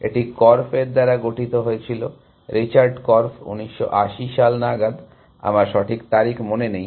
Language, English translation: Bengali, It was formed by Korf, Richard Korf 1980’s something, I do not remember exact date